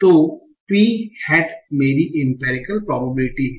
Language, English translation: Hindi, So p head is my umbriacal probability